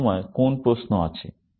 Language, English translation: Bengali, Any questions at this point